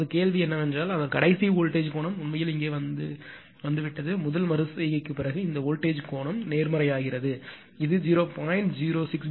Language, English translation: Tamil, Now, question is that that that last voltage angle it has become actually here in this first ah your what you call after first iteration, this voltage angle become positive because this is 0